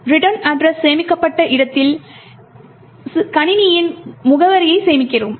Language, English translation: Tamil, At the location where the return address is stored, we store the address of the system